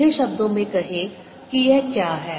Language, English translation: Hindi, simply put, this is what it is